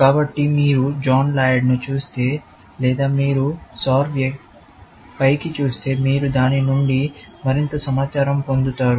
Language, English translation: Telugu, So, if you look up John Laird or if you look up Soar, you would get more information out of it